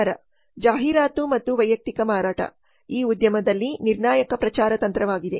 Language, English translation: Kannada, Promotion, advertisement and personal selling are crucial promotional techniques in this industry